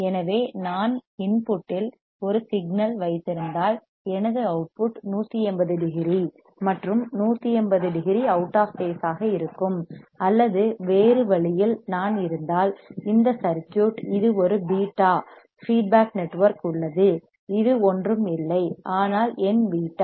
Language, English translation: Tamil, So, if I have a signal at the input my output would be 180 degree out of phase and 180 degree out of phase or in another way if I because this circuit, this is a beta there is feedback network this is a case is nothing, but my beta